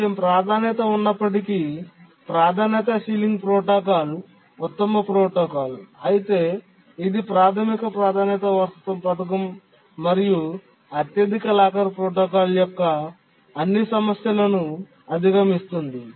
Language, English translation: Telugu, But then the priority sealing protocol is the best protocol even though it is slightly more complicated but it overcomes largely overcomes all the problems of the basic priority inheritance scheme and the highest locker protocol